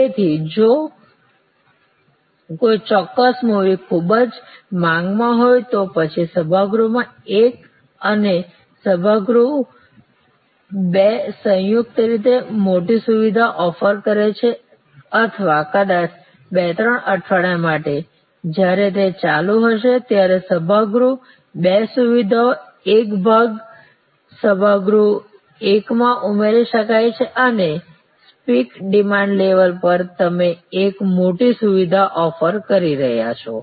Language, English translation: Gujarati, So, if there is a particular movie in very high demand then auditorium one and auditorium two maybe combined offering a bigger facility or maybe part of the auditorium two facility can be added to the auditorium one and for 2, 3 weeks when that move will be at speak demand level, you are offering a bigger facility